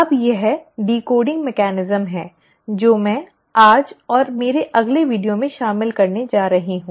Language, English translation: Hindi, Now this decoding mechanism is what I am going to cover today and in my next video